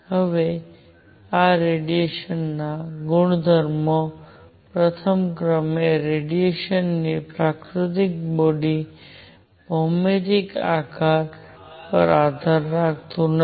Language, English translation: Gujarati, Now the properties of this radiation is number one the nature of radiation does not depend on the geometric shape of the body